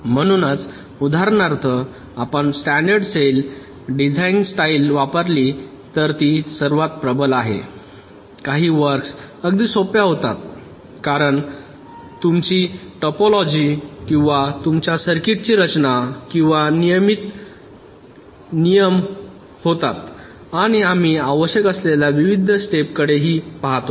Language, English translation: Marathi, so if you use standard cell design style, for example, which is most predominant, some of the tasks become much simpler because your topology or the configuration or the structure of your circuits become much regular